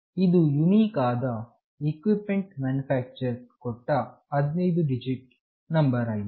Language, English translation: Kannada, This is a unique 15 digit number assigned by the equipment manufacturer